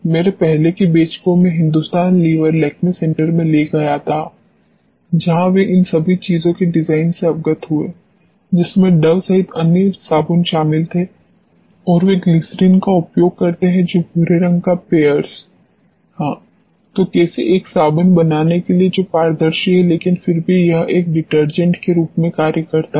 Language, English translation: Hindi, My earlier batches I use to take them to Hindustan levers Lakme center where they got exposed to design of all these things including Dove and what was the other soap which they use glycerin that brownish colour Pears yes; so, how to make a soap which is transparent, but still it act as a detergent